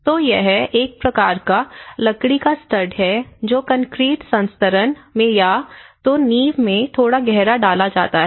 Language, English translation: Hindi, So, what you can see here is it is a kind of timber studs embedded in the either in the concrete bedding or little deeper into the foundation